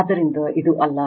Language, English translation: Kannada, So, this is one